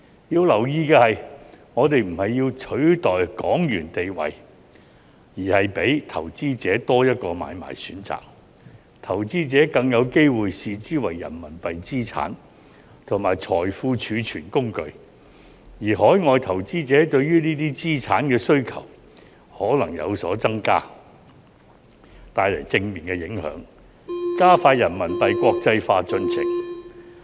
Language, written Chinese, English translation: Cantonese, 要留意的是，我們並非要取代港元的地位，而是給予投資者多一個買賣選擇，投資者更有機會視之為人民幣資產及財富儲存工具，而海外投資者對於這些資產的需求可能有所增加，帶來正面影響，加快人民幣國際化進程。, A point to note is that we are not trying to replace HKD but rather to give investors an additional trading option . Investors will be more likely to regard the stocks as RMB assets and tools for storing wealth while overseas investors may have a greater demand for these assets thus bringing a positive impact and expediting the progress of internationalization of RMB